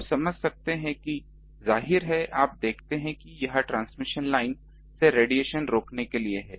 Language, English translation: Hindi, You see; obviously, you see this is a um to prevent the radiation from the transmission line